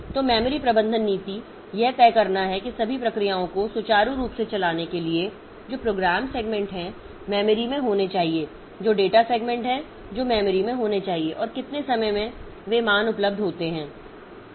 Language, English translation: Hindi, So, the memory management policy, so it has to decide that for smooth running of all the processes which are the memory which are the program segments that should be there in the memory, which are the data segments that be in the memory and at what time those values be available